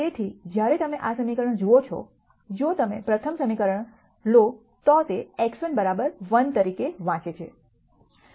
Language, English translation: Gujarati, So, when you look at this equation; if you take the first equation it reads as x 1 equal to 1